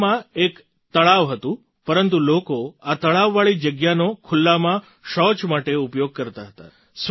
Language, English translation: Gujarati, There used to be a pond in this village, but people had started using this pond area for defecating in the open